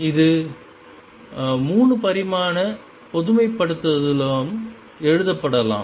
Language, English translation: Tamil, It is 3 dimensional generalization can also be written